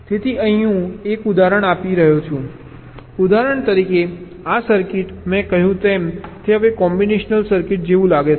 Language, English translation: Gujarati, for example: ah, suppose this circuit, as i said, that it now looks like a combinational circuit